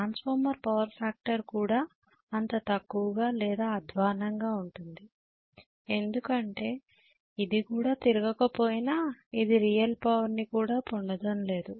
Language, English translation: Telugu, Transformer power factor could also be as bad or even worse because it is not even running, it is not even getting any real power developed